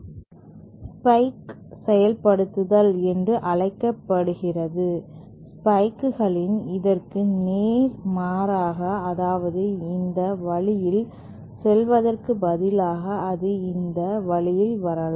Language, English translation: Tamil, That is called the spike implementation, in the spike, by opposite I mean instead of this going this way, it can come this way